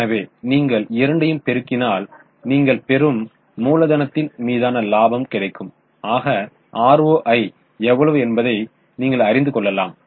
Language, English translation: Tamil, So if you multiply both, you will get profit upon capital employed, which is precisely what is ROI